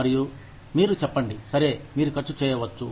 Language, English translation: Telugu, And, you say, okay, you can spend